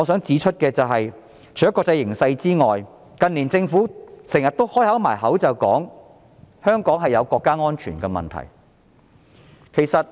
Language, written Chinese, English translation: Cantonese, 此外，除了國際形勢以外，近年政府經常掛在嘴邊的是，香港存在國家安全問題。, Apart from the international situation the Government has repeatedly said in recent years that Hong Kong has national security issues